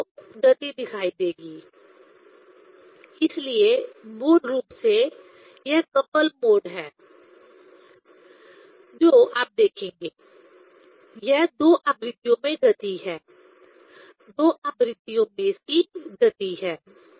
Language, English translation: Hindi, Then you will see the motion, so that is basically it is the couple mode you will see this; it is motion in two frequencies, its motion in two frequencies